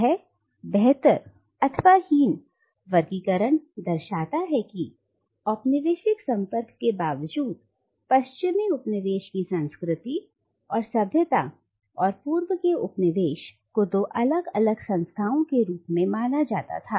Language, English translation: Hindi, This superior/inferior binary indicates that in spite of the colonial contact, the culture and civilisation of the Western coloniser, and of the colonised East were perceived as two distinct and separate entities